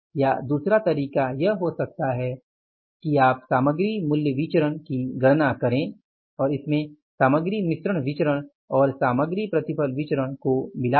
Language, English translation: Hindi, Or the other way could be that you calculate this material price variance as I told you plus material mix variance and material yield variance